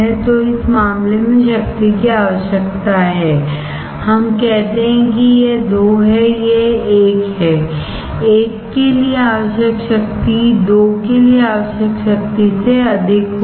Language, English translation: Hindi, So, in this case the power required let us say this is 2 this is 1; the power required for 1 will be higher than power required for 2